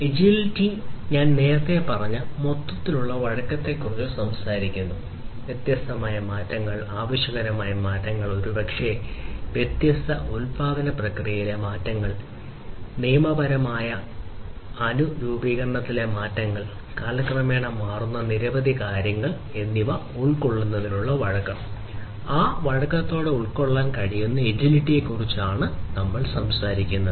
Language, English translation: Malayalam, Agility talks about overall flexibility which I was telling you earlier, flexibility in terms of incorporating different changes, changes in requirements, maybe, changes in the different production processes, changes in the legal compliance, and there are so, many different things that might change over time and in being able to incorporate it flexibly is what agility talks about